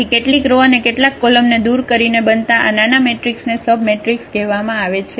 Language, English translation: Gujarati, So, whatever this smaller matrix by removing some rows and some columns, that is called the submatrix